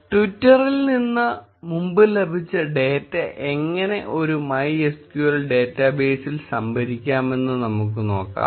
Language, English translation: Malayalam, Let us now look at how we can store previously fetched data from twitter into a MySQL database